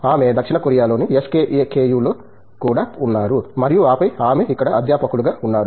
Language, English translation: Telugu, She was also at the SKKU in South Korea so and after all that she is been a faculty here